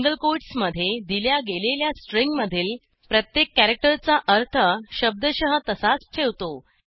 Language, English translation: Marathi, * Single quotes preserves the literal meaning of each character of the given string